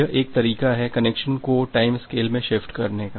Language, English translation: Hindi, that is one way by shifting the connection in the time scale